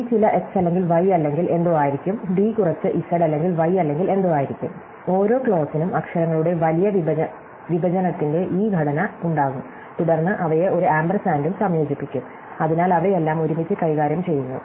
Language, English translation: Malayalam, So, C will be some x or y or something, D will be some z or not y or something and so on and so each clause will have this structure of a big disjunction of literals and then they are combined by an ampersand, so they are all handled together